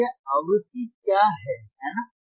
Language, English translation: Hindi, And what is this frequency, right